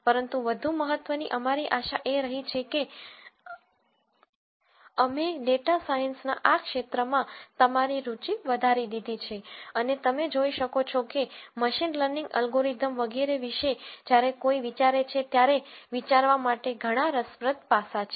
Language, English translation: Gujarati, But more importantly our hope has been that this has increased your interest in this eld of data science and as you can see that there are several fascinating aspects to think about when one thinks about machine learning algorithms and so on